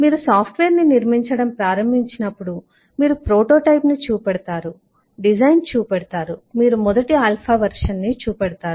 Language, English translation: Telugu, and as you start building the software, you show the prototype, you show the design, you show the first alpha version